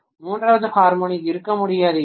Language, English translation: Tamil, If third harmonic cannot exist